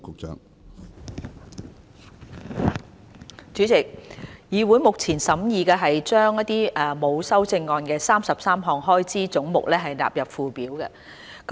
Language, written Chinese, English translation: Cantonese, 主席，議會現正審議將33個沒有修正案的開支總目納入附表。, Chairman the examination underway in the Legislative Council concerns the sums for the 33 heads with no amendment standing part of the Schedule